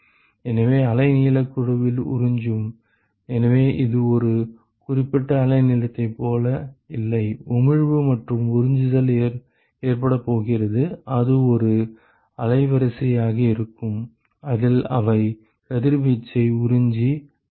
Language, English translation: Tamil, So, the absorb in wavelength band; so it is not like a specific wavelength at which, the emission and absorption is going to occur it is going to be a band in which, they are going to absorb and emit radiation ok